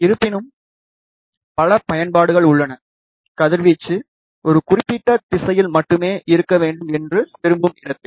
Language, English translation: Tamil, However, there are many applications, where we want the radiation to be only in one particular direction